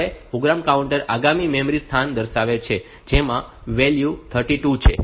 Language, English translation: Gujarati, Now program counter points the next memory location which contains the value 32